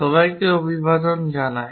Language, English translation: Bengali, Hello everyone